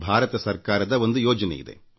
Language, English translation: Kannada, It is a scheme of the Government of India